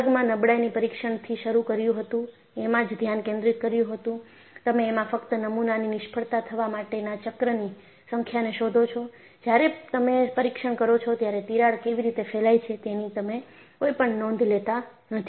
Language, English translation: Gujarati, So, in this class what we have looked at was, we started looking at the fatigue test and the focus was, you only find out the number of cycles for the specimen to fail; you do not take any note of how the crack propagates while you perform the test